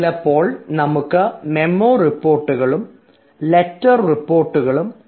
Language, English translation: Malayalam, sometimes we have a memo report and a letter report